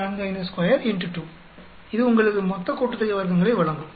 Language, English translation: Tamil, 45 square multiply by 2 that will give you total sum of squares